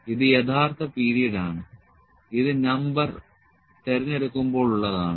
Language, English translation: Malayalam, This is actual period, this is the when is number selected